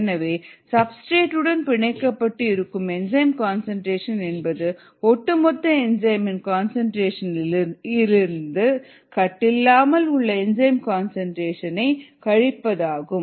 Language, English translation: Tamil, the concentration of the enzyme substrate complex is total concentration of the enzyme minus the concentration of the free enzyme